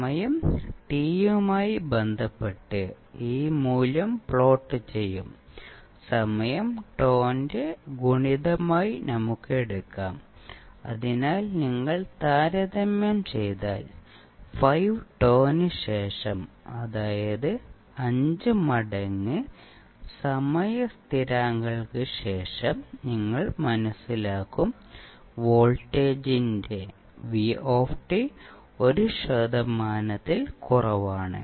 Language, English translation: Malayalam, We will plot this value with respect to time t and let us take time t as a multiple of tau, that is the time constant so, if you compare you will come to know that after 5 tau, that means after 5 times constants the value of voltage Vt is less that 1 percent